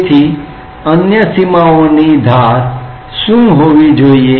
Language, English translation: Gujarati, So, what should be the edges of the other boundaries